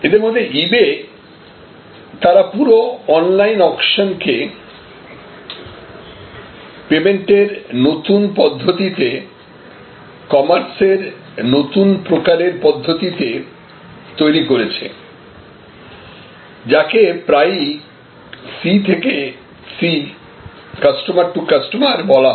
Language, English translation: Bengali, Some of them are like eBay, they created this entire online auction as a new method of payment and as a new method of a new type of commerce, which is often called C to C Customer to Customer